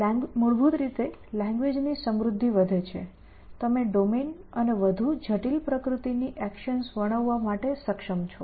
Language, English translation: Gujarati, Basically, the richness of the language increases, you are able to describe the domain as well as actions of more complex nature